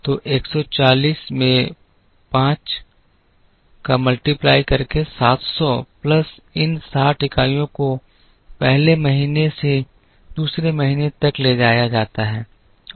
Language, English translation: Hindi, So 140 into 5 700 plus these 60 units are carried from first month to second month